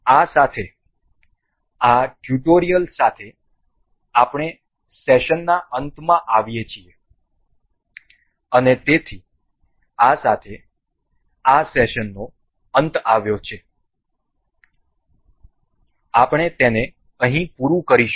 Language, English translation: Gujarati, So, with this we this with this this tutorial comes to end of the session and so, with this we have come to an end of this session and we will wrap this up here only and